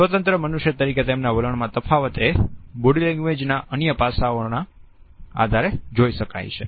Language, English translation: Gujarati, The differences in their attitudes as independent human beings can also be seen on the basis of the other aspects of body language